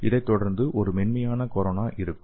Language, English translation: Tamil, And followed by that, there will be a soft corona okay